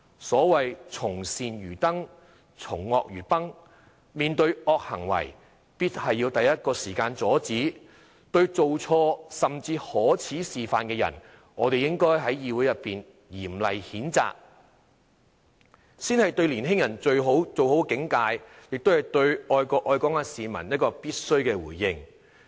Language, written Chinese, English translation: Cantonese, 所謂"從善如登，從惡如崩"，面對惡行為必須第一時間阻止，對做錯、甚至作出可耻示範的人，我們應該在議會裏面嚴厲譴責，這才是對年輕人最好的警誡，亦是對愛國愛港市民一個必須的回應。, It is said that doing good is like a hard climb doing evil is like an easy fall so in the face of wrongdoing we must put a stop to it immediately and to people who did wrong or even set despicable examples we should condemn them severely in the legislature . Only by doing so can the most appropriate warning be given to young people and it is also a response that we are duty - bound to make on behalf of people who love the country and Hong Kong